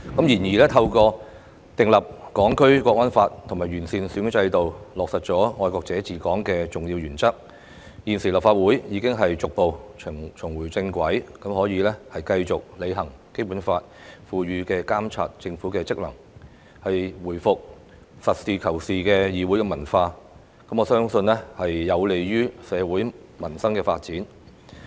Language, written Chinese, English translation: Cantonese, 然而，透過訂立《香港國安法》及完善選舉制度，落實愛國者治港的重要原則，立法會現已逐步重回正軌，可繼續履行《基本法》賦予的監察政府職能，回復實事求是的議會文化，我相信這將有利於社會民生發展。, However with the enactment of the Hong Kong National Security Law as well as the improvements made to our electoral system for the implementation of the important principle of patriots administering Hong Kong the Legislative Council has gradually got back on the right track . We can now continue to perform our functions as stipulated under the Basic Law to monitor the Government return to the practical and realistic parliamentary culture and I consider this beneficial to both social development and peoples livelihood